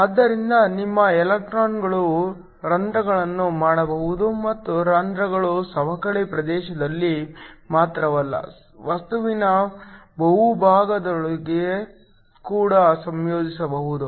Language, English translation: Kannada, So, your electrons can holes and holes can recombine not only in the depletion region they can also recombine within the bulk of the material